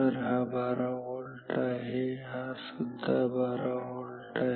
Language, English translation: Marathi, So, this is 12 volt, this is also 12 volt